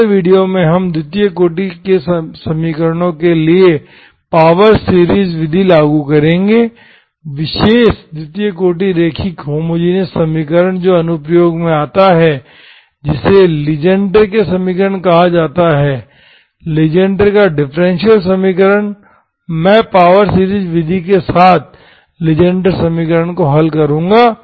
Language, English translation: Hindi, Next video we will apply the power series method to the second order equations, special second order linear homogeneous equation which comes to the, comes in the application, it is called Legendre’s equations, okay